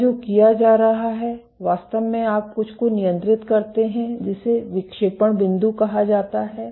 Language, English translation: Hindi, What is being done is actually you control something called the deflection set point